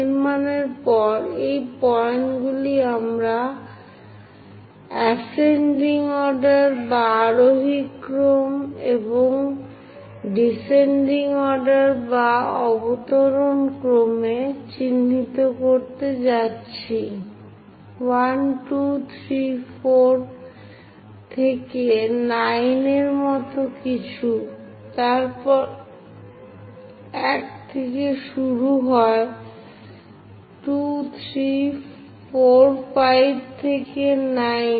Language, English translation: Bengali, After construction, these points we are going to mark in the ascending order and in the descending order; something like 1, 2, 3, 4 and so on 9, then 1 begins 2, 3, 4, 5 all the way to 9